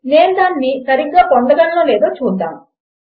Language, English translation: Telugu, Lets see if I can get it right